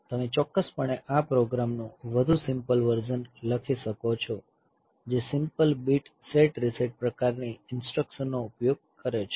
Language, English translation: Gujarati, So, you definitely, you can write a much simpler version of this program that uses a simple bit set reset type of instructions